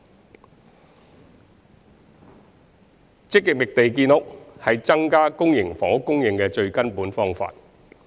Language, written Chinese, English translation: Cantonese, 三積極覓地建屋是增加公營房屋供應的最根本方法。, 3 Actively identifying land for housing construction is the fundamental solution to increasing public housing supply